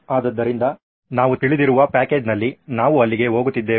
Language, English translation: Kannada, So we are getting to known package as we can go up there